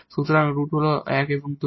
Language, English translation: Bengali, So, the roots are 1 and 2